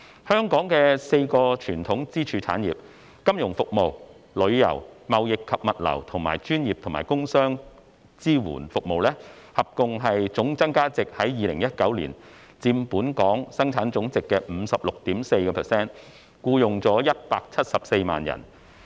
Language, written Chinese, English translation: Cantonese, 香港的4個傳統支柱產業：金融服務、旅遊、貿易及物流和專業及工商業支援服務，合共的總增加價值在2019年佔本地生產總值 56.4%， 僱用174萬人。, The share of the total value added of the four traditional pillar industries namely financial services tourism trading and logistics and professional and producer services amounted to 56.4 % of the Gross Domestic Product in 2019 employing 1.74 million people